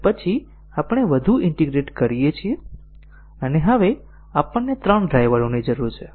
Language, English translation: Gujarati, And then we integrate one more, and now we need three drivers